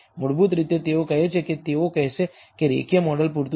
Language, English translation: Gujarati, Basically they say they would say that the linear model is adequate